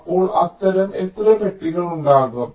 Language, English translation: Malayalam, so how many of such boxes will be there